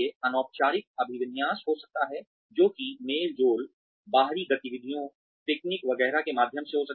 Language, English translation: Hindi, There could be informal orientation, which could be through get togethers, outdoor activities, picnics, etcetera